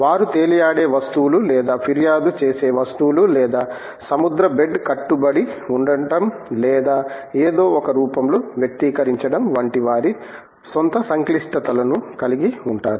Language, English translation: Telugu, They will have their own complexities of being floating bodies or complain bodies or adhered to the ocean bed or articulated in some form